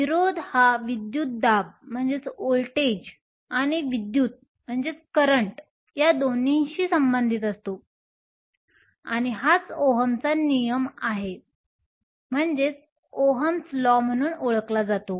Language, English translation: Marathi, Resistance is related to both the voltage and the current by what is known as OhmÕs law